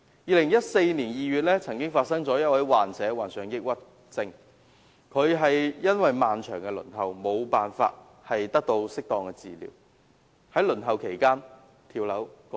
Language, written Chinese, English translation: Cantonese, 2014年2月，曾有一名抑鬱症患者因漫長的輪候時間而得不到適當治療，在輪候期間跳樓身亡。, In February 2014 a patient suffering from depression died after jumping off a building due to the failure to receive proper treatment after waiting for a long period